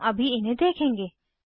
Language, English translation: Hindi, We will see them now